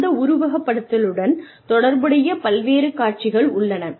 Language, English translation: Tamil, And, there is various scenarios, related to that simulation